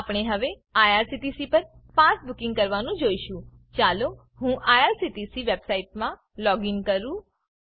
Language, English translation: Gujarati, We will now see the pass bookings at IRCTC, let me login to irctc website